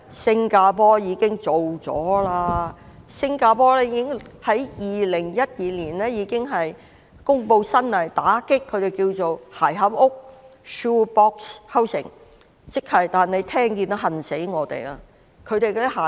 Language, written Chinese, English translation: Cantonese, 新加坡早於2012年已經公布新法例打擊"鞋盒屋"，聽到也令我們羨慕。, Early in 2012 Singapore announced new legislation to combat shoe - box housing . Hearing that we cannot but feel envious